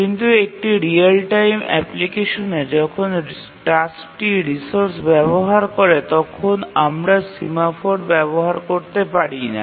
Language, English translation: Bengali, But in a real timetime application when the task share resources, we can't really use a semaphore